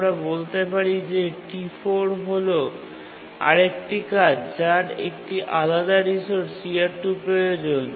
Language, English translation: Bengali, And let's say T4 is another task which is needing a different resource CR2